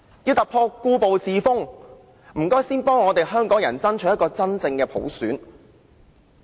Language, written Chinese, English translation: Cantonese, 要突破故步自封，請先幫香港爭取一個真正的普選。, If one wants to change the status quo please first strive for genuine universal suffrage for Hong Kong